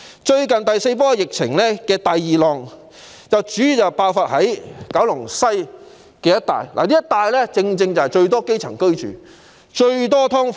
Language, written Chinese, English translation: Cantonese, 最近的第四波疫情第二浪主要在九龍西一帶爆發，這一帶正正有最多基層市民居住、最多"劏房"。, The recent second uptick in the fourth wave of the epidemic mainly broke out in the Kowloon West area the area that houses the greatest numbers of grass - roots people and subdivided units